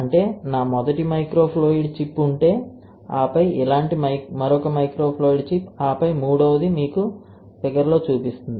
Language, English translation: Telugu, That means that if I have this one which is my first microfluidic chip, right, like this, and then another microfluidic chip like this, and then third one like am showing you the figure, right